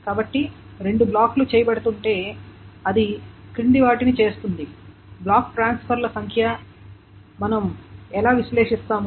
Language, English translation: Telugu, So if two blocks is being done, then what it does is the following is the number of block transfers